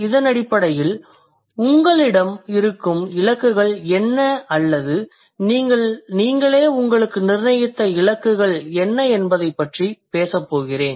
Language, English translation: Tamil, So in this connection, I'm going to talk about what are the goals you might have or what are the goals you might set for yourself